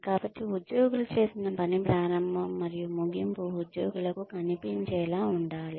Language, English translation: Telugu, So, the beginning and the end of the work, that employees put in, should be visible to the employees